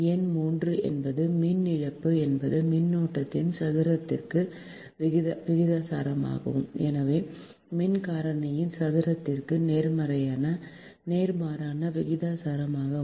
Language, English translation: Tamil, number three is power loss is proportional to the square of the current and hence inversely proportional to the square of the power factor